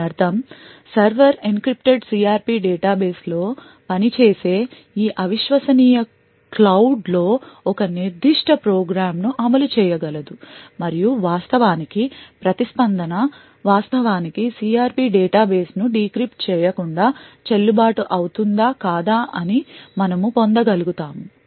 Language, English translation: Telugu, This means that the server could actually run a particular program in this un trusted cloud which works on the encrypted CRP database and would be able to actually obtain weather the response is in fact valid or not valid even without decrypting the CRP database